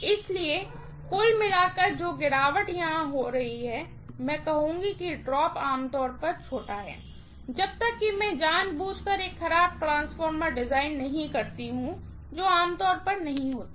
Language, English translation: Hindi, So, overall the drop that is taking place here, I would say the drop is generally small, unless I deliberately design a bad transformer which is generally not done